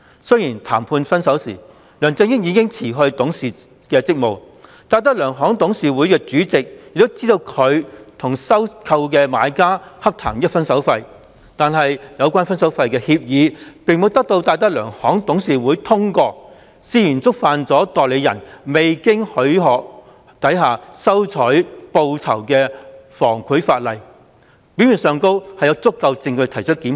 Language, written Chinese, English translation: Cantonese, 雖然談判"分手"時，梁振英已辭去董事職務，而戴德梁行的董事會主席也知道他與收購的買家洽談"分手費"，但有關的"分手費"協議並沒有得到戴德梁行的董事會通過，涉嫌觸犯代理人未經許可下收取報酬的防賄法例，表面上有足夠證據提出檢控。, While LEUNG Chun - ying had already resigned as a board director when the negotiation on his parting was underway and the DTZ board chairman was also aware of his parting fee negotiation with the buyer in the takeover deal no consent was given by the DTZ board to the relevant parting fee agreement . This allegedly violated the anti - corruption law governing an agents acceptance of reward without permission . There is sufficient prima facie evidence to press charges